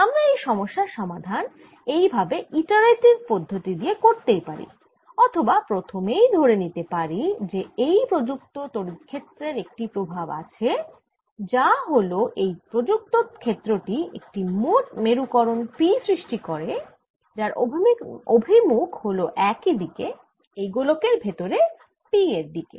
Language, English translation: Bengali, i could go on solving this problem by doing this iterative method or assume right in the beginning that an effect of this applied field e zero this is the applied field e zero is that it produces a net polarization p in the same direction in this sphere and this p